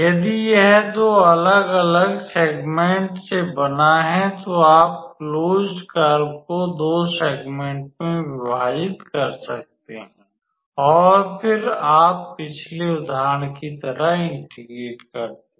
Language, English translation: Hindi, If it is composed of two different segments, then you divide the closed curve into two segments and then, you do the integration like the previous example